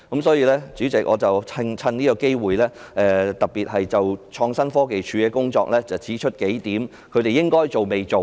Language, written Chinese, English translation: Cantonese, 代理主席，我藉此機會就創新科技署的工作提出數個應該要做但未做，以及已做但有待改善之處。, Deputy Chairman here I took the opportunity to point out a few things that ITC should have done but has not done yet and what has already been done but requires improvements